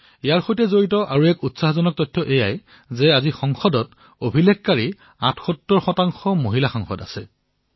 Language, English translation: Assamese, Another encouraging fact is that, today, there are a record 78 women Members of Parliament